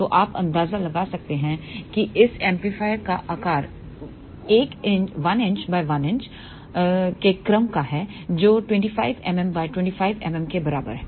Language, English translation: Hindi, So, you can get an idea that size of this amplifier is of the order of 1 inch by 1 inch which is about 25 mm by 25 mm